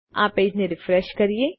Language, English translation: Gujarati, So lets refresh this page